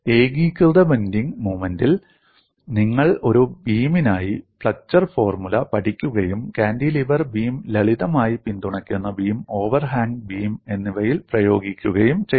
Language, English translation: Malayalam, You simply learn flexure formula for a beam under uniform bending moment and applied it to cantilever beam, simply supported beam and over hand beam